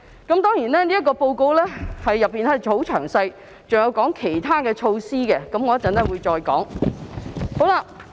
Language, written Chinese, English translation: Cantonese, 這份報告相當詳細，還有提及一些其他措施，我稍後會再討論。, The report written in great detail also mentioned some other measures . I will go back to them later